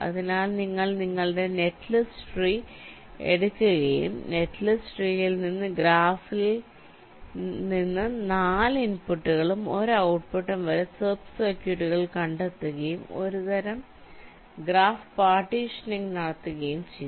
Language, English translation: Malayalam, so you take your netlist tree and from the netlist tree you actually find out sub circuits from the graph which will be having upto four inputs and one outputs and do a some kind of graph partitioning